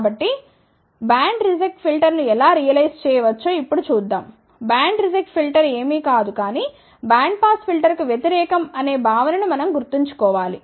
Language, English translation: Telugu, So, let us see now how we can realize a band reject filter, we have to just remember the concept that band reject is nothing, but opposite of band pass filter